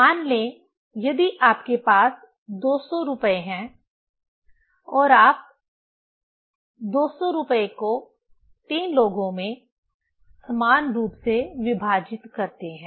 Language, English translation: Hindi, Say, you have rupees 200 and you divide rupees 200 among 3 people equally